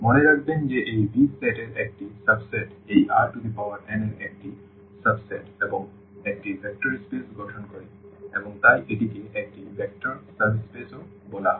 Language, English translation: Bengali, Note that this V the set V is a subset of is a subset of this R n and forms a vector space and therefore, this is called also vector subspace